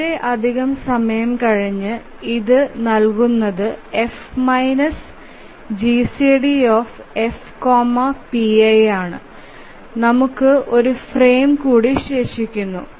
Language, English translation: Malayalam, So, this much time has elapsed and this is given by F minus GCD F PI and we have just one more frame is remaining